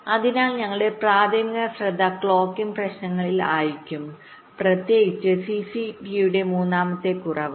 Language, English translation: Malayalam, so our primary focus will be on the clocking issues, specifically the third one, reduction of cct